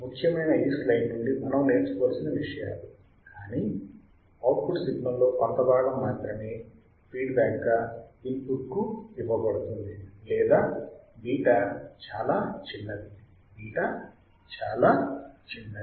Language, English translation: Telugu, What important things that we had to learn from this slide, but only a part of output signal is fed feedback to the input or beta is extremely small, beta is extremely small